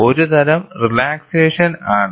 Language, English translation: Malayalam, Some sort of a relaxation